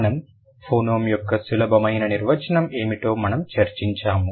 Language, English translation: Telugu, And we did discuss what is the simplest definition of a phoneme